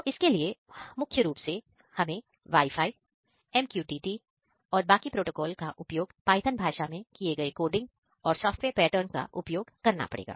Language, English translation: Hindi, So, for this we are using mainly Wi Fi, MQTT and the rest protocol the coding and software pattern done in the Python language